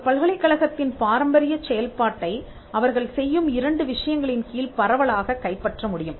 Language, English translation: Tamil, The traditional function of a university can be broadly captured under two things that they do, universities teach, and they do research